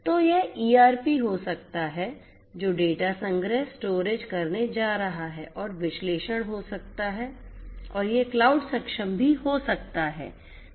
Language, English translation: Hindi, So, this may be the ERPs which is going to do the data collection, storage and may be analysis and this could be even cloud enabled